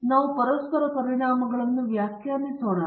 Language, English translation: Kannada, So, let us define the interaction effects